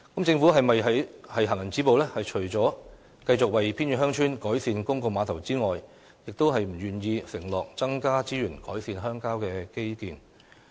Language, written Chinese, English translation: Cantonese, 政府是否想"行人止步"，除了繼續為偏遠鄉村改善公共碼頭外，便不願意承諾增加資源改善鄉郊基建？, Is it the case that the Government wants to isolate remote villages so except for continuing to improve the public piers in the villages it is not willing to pledge additional resources to improve rural infrastructure?